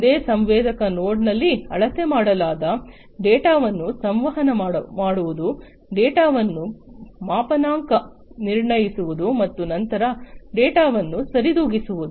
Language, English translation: Kannada, In a single sensor node, communicating the data that is measured, calibrating the data, and then compensating the data